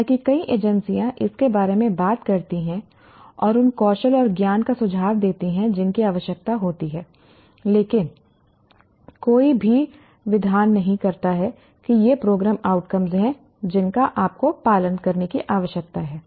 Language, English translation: Hindi, Though many agencies talk about it and suggest the skills and knowledge that is required, but nobody legislates that these are the program outcomes that you need to follow